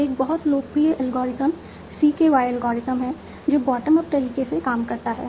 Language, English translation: Hindi, So, one very popular algorithm is CKY algorithm that works in bottom up manner